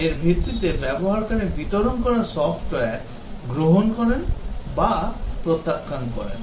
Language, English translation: Bengali, Based on this the user either accepts or rejects the delivered software